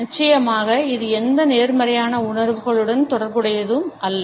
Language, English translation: Tamil, Definitely it is not associated with any positive feelings